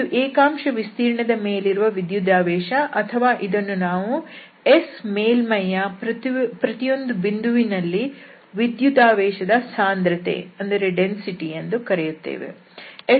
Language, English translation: Kannada, So, this is the charge per unit area or we call this charge density at each point of the surface S